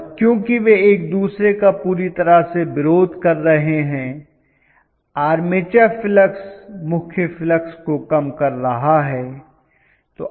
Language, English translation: Hindi, And because they oppose each other completely literally the armature flux tends to kill the main flux